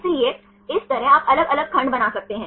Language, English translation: Hindi, So, likewise you can make different segments